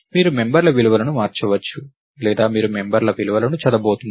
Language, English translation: Telugu, You will you will either change the values of the members, or you are going to read the values of the members